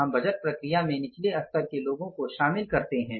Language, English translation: Hindi, We don't impose the budget on the lower level people